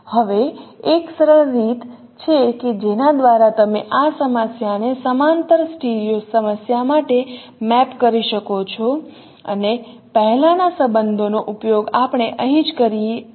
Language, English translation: Gujarati, Now there is a very simple way by which you can map this problem to a parallel studio problem and use the previous relationships what we derived here itself